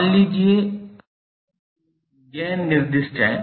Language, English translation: Hindi, Suppose, the problem is a gain is specified